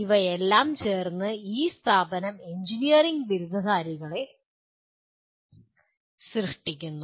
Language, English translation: Malayalam, And these together, this institute produces engineering graduates